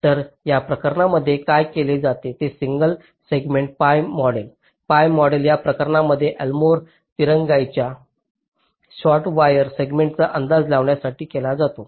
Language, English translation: Marathi, so what is done for those cases is that single segment pi model pi model is used for estimating the l more delay in those cases, short wire segment s